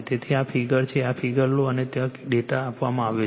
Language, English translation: Gujarati, So, this is the figure you take this figure and data are given there right